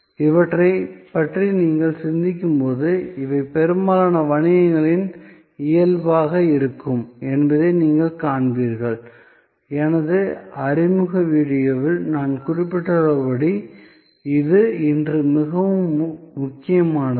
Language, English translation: Tamil, And as you think about these, you will see that more and more, these will be the nature of most businesses and as I mentioned in my introductory video, this is very important today